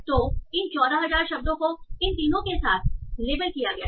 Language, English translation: Hindi, So these 14,000 words are labeled with these three